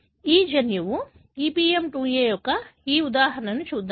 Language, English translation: Telugu, Let us look into this example of this gene EPM2A